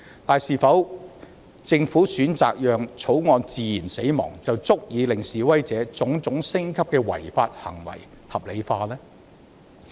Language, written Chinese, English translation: Cantonese, 然而，政府選擇讓《條例草案》自然死亡，是否便足以令示威者種種升級的違法行為合理化？, However does the Governments decision to let the Bill die naturally justify the escalation of various illegal acts of the protesters?